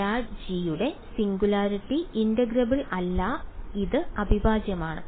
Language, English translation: Malayalam, So, the singularity of grad g is not integrable this is integral